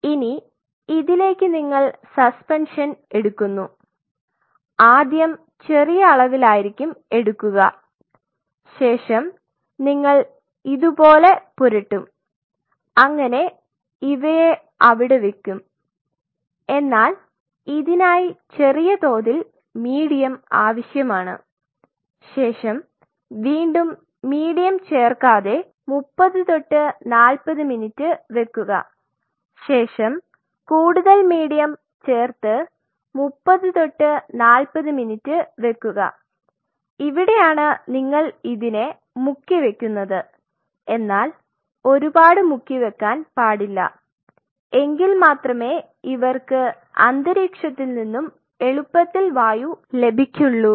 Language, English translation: Malayalam, So, now, on this what you do you take the suspension, a small amount of suspension first and you would try to play played the cells like this you just put them there, they will find out with a little bit of a medium in that, but try to played them and without adding any further medium for next 30 to 40 minutes and then after 30 to 40 minutes add more medium this is where you are submerging it, but do not go very high I told you just good enough because say so that they can derive the oxygen from the environment easily ok